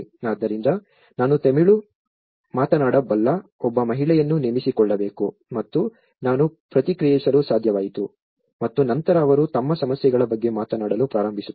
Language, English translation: Kannada, So, I have to hire one lady who can speak Tamil and I could able to respond so and then they start speaking about their issues